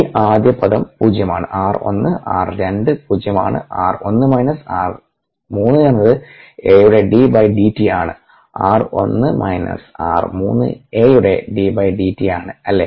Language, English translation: Malayalam, ah, this first term is zero r one r two is zero r one minus r three is d d t of a r one minus r three is d d t of a right